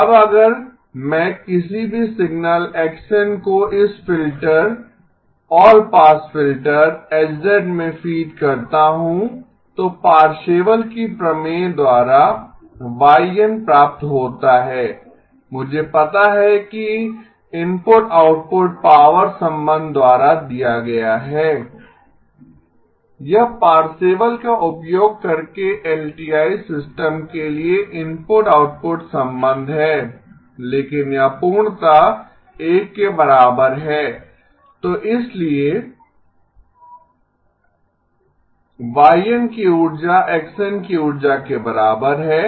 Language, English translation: Hindi, Now if I feed in any signal x of n to this filter all pass filter H of z out comes y of n then by Parseval's theorem, I know that the input output power relationship is given by 1 divided by 2 pi integral 0 to 2pi or minus pi to pi mod Y e of j omega magnitude squared d omega is equal to input writing the Parseval's relationship, it is mod H e of j omega magnitude squared X e of j omega magnitude squared d omega right